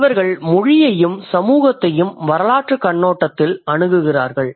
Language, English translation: Tamil, They study language and society from historical perspective